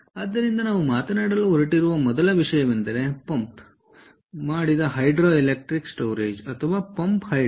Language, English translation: Kannada, ok, so the first thing that we are going to talk about is pumped hydro, electric storage, or pumped hydro